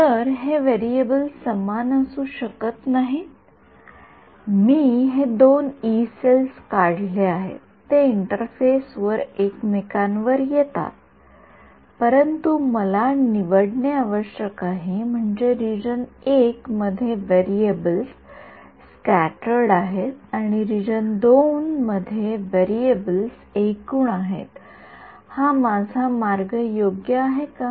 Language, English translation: Marathi, So, that is what the variables cannot be the same right I have drawn these two Yee cells they are overlapping at the interface, but I have to choose right I mean is my way in region I the variables is scattered field in the region II the variable is total field ok, but in my equations I am going to have only one variable right